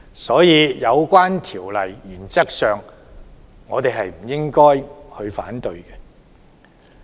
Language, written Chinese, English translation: Cantonese, 所以，原則上，我們不應反對有關修例。, Hence we should not oppose the amendments in principle